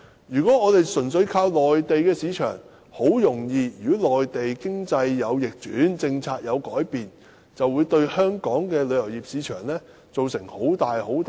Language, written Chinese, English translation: Cantonese, 如果香港純粹依靠內地市場，一旦內地經濟逆轉或政策有所改變，很容易便會對香港的旅遊業市場造成很大震盪。, If Hong Kong relies fully on the Mainland market the tourism market in Hong Kong will be readily subject to heavy blows in the event of an economic downturn or changes in policies in the Mainland